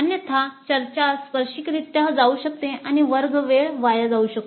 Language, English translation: Marathi, Otherwise the discussions can go off tangentially and the classroom time can get wasted